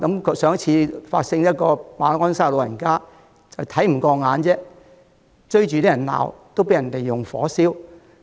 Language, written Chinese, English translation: Cantonese, 較早前，在馬鞍山有一名長者因為看不過眼，追着人罵便被人縱火焚燒。, Earlier an elderly person at Ma On Shan chased after some people and scolded them upon seeing something unacceptable to him . He was then set ablaze